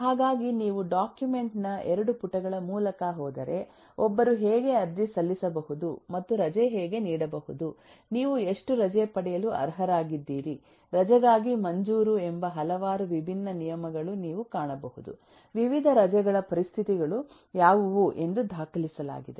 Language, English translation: Kannada, if you, if you go through the 2 pages of the document, you will find several different rules of eh: who can, how can who and one apply for a leave and how can a leave granted, how much leave you are eligible for, what are the conditions for different leaves, and so on are documented